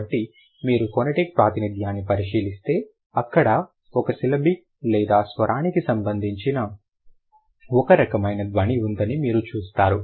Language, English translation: Telugu, So, you see, if you look at the phonetic representation, there is a, there is a who kind of a sound, which is syllabic one or the vocalic one